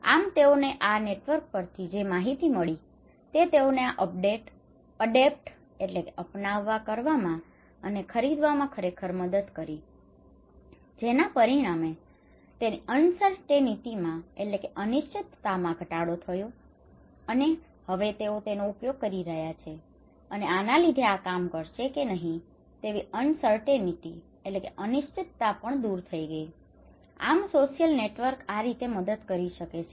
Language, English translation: Gujarati, He is getting informations to his network that really helped him to adapt and buy this one so, he reduces his degree of uncertainty through using it, through collecting informations and now he is using it so, he really reduced uncertainty whether this will work or not, the social networks can help this way